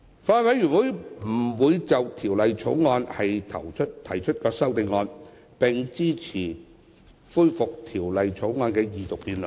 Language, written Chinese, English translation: Cantonese, 法案委員會不會就《條例草案》提出修正案，並支持恢復《條例草案》的二讀辯論。, The Bills Committee will not propose amendments to the Bill and will support the resumption of the Second Reading debate on the Bill